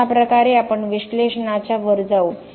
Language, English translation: Marathi, So, this is how we go above the analysis